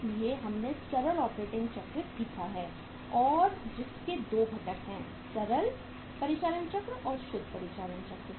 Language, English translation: Hindi, So we have learnt the simple operating cycle and which has 2 components gross operating cycle and the net operating cycle